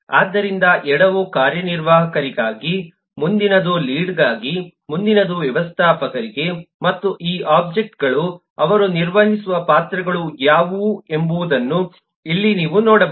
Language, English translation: Kannada, so the left most one is for a executive, next is for a lead, next is for a manger, and here you can see what are the roles that they, these objects, will play